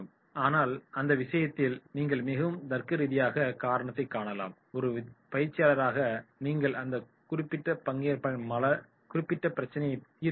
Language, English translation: Tamil, But in that case you may come across a very logical reason and as a trainer then you are supposed to solve that particular problem of that particular trainee